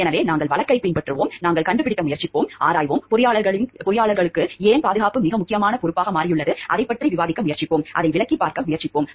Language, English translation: Tamil, So, we will follow the case and we try to find out we will try to see, explore, why safety has become a very important responsibility for the engineers and we will try to discuss about it and we explain it and try to see the importance of safety